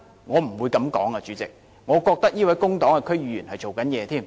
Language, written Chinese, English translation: Cantonese, 我反而覺得這位工黨的區議員是正在工作。, On the contrary I think this DC member of the Civic Party was doing his job